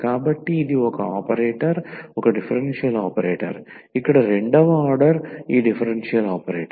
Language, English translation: Telugu, So, this is the operator is a differential operator here the second order this differential operator